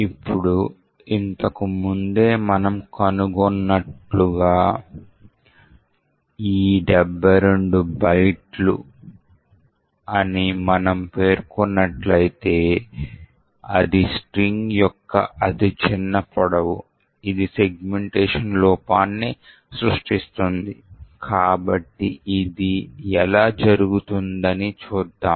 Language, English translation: Telugu, if we specified that A is 72 bytes, then this is the smallest length of the string which would create a segmentation fault, so let us see this happening